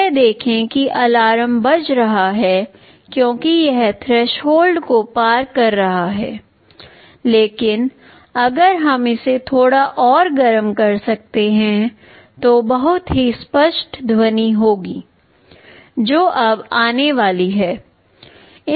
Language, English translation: Hindi, See this is alarm is sounding because it is just crossing threshold, but if we can heat it a little further then there will be a very clear sound that will be coming